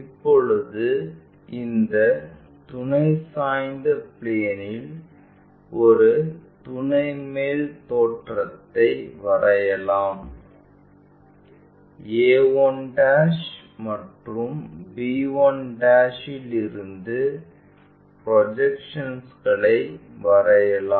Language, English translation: Tamil, Now, to project an auxiliary top view on this auxiliary inclined plane draw projections from a 1' and our b 1'